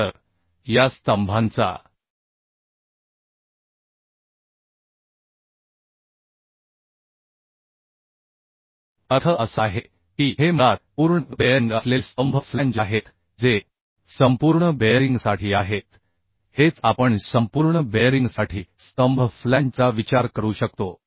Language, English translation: Marathi, So these are the columns means these are the basically columns flanges having complete bearing means for complete bearing this is what we can consider column flange per complete bearing